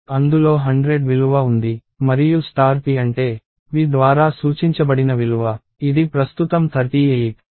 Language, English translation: Telugu, The value is 100 and star p means the value that is pointed 2 by p, which is currently 38